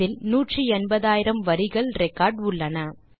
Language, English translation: Tamil, It has 180,000 lines of record